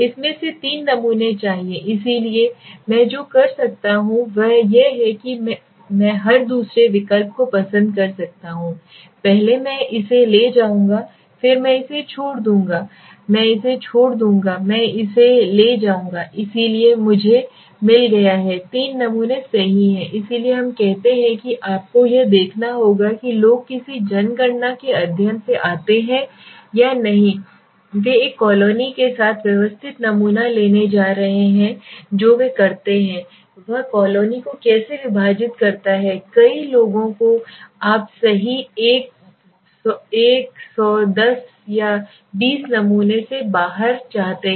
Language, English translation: Hindi, Now I want three samples out of it so what I can do is I can either take like every second alternatives so first I will take this one then I will leave this I will leave this I will take this one so I have got three samples right so we say similarly you must see people come from a any census study if they are going to systematic sampling with a colony what they do is divide the colony into how many people s you want to stay out of hundred one ten or twenty samples right